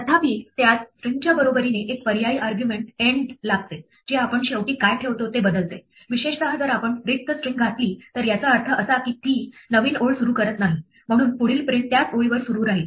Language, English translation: Marathi, However, it takes an optional argument end equal to string which changes what we put at the end, in particular if we put an empty string it means that it does not start a new line, so the next print will continue on the same line